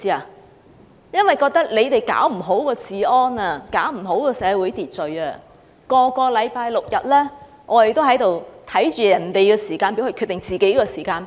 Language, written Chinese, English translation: Cantonese, 他們認為政府管不好治安和社會秩序，每個星期六及星期日，我們要看着別人的"時間表"來決定自己的時間表。, In the eyes of the public the Government has failed to maintain law and order in society . Every weekend we have to plan our activity based on the schedule of some others